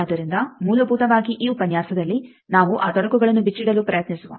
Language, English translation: Kannada, So basically, in this lecture we will try to unravel those complicacies